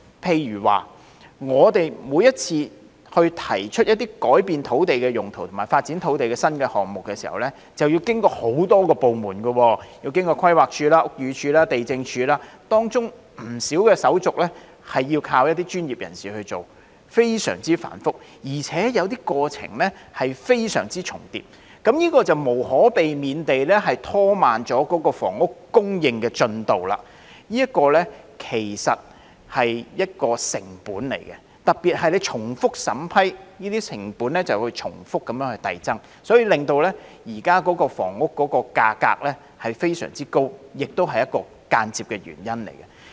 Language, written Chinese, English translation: Cantonese, 譬如說，我們每次提出建議改變土地用途及發展土地新項目時均要經過很多部門如規劃署、屋宇署及地政總署，當中有不少手續要靠一些專業人士來處理，非常繁複，而且有些過程重疊，這便無可避免地拖慢了房屋供應進度，這其實是一個成本，特別是當局重複審批，這些成本便會重複遞增，因而令現時房屋價格非常高，這亦是一個間接的原因。, For example whenever we propose a change of land use or a new land development project we have to go through many departments such as the Planning Department the Buildings Department and the Lands Department where a lot of the procedures are very complicated and have to be handled by professionals . Given the duplication of procedures in some cases it is inevitable that the progress of housing supply will be slowed down . This is in fact a cost which will increase repeatedly particularly when the vetting procedures by the authorities are repeated thus indirectly leading to the sky - high prices of residential units